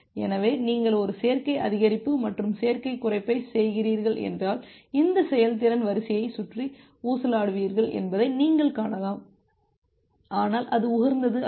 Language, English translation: Tamil, So, you can see that if you are doing a additive increase and additive decrease you will just oscillate around this efficiency line, but that is not the optimal point